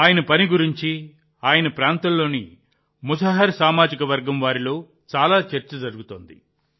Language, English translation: Telugu, There is a lot of buzz about his work among the people of the Musahar caste of his region